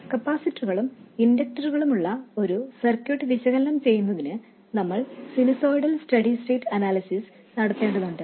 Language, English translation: Malayalam, In order to analyze a circuit which has capacitors and inductors, we need to do sinusoidal steady state analysis